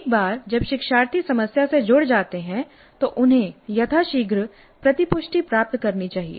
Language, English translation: Hindi, So, once learners engage with the problem, they must receive feedback as quickly as possible